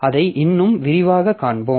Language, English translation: Tamil, So, we'll see that in more detail later